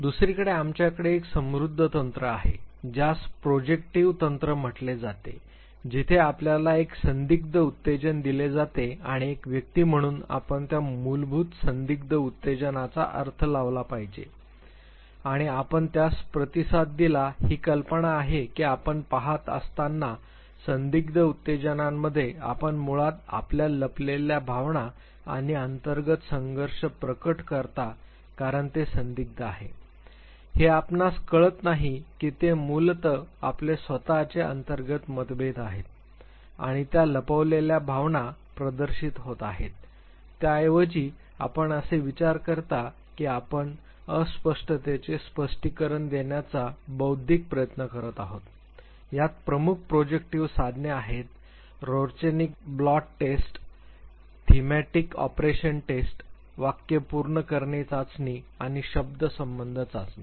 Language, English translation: Marathi, On the other hand we have a very rich technique what is called as a projective technique where you are presented with an ambiguous stimuli and as a person you are supposed to interpret that basic ambiguous stimuli and you respond to it the idea is that while you look at the ambiguous stimuli you basically reveal your hidden emotions and internal conflicts because it is ambiguous therefore, you do not realize that it is basically your own inner conflicts and the hidden emotions that are getting reflected rather, you think as if you were making an intellectual attempt to decipher the ambiguity the major projective tools the Rorschach ink blot test thematic apperception test sentence completion test word association test